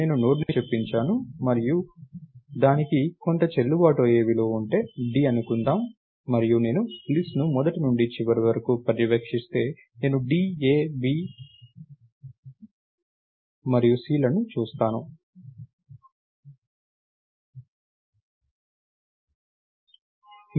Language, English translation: Telugu, I have inserted a Node and if it had some valid value, lets say d and if I go through the list if I traverse the list from the beginning to the end, I will see d, a, b and c